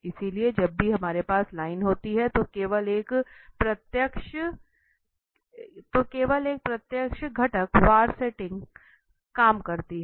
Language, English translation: Hindi, So, whenever we have line, just direct a component wise setting works